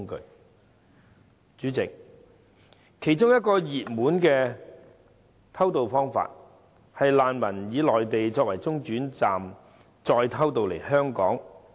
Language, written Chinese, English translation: Cantonese, 代理主席，其中一個熱門的偷渡方法，是難民以內地作為中轉站再偷渡來港。, Deputy President one of the popular ways for illegal entrants to smuggle themselves into Hong Kong is to use the Mainland as a midway point before sneaking into Hong Kong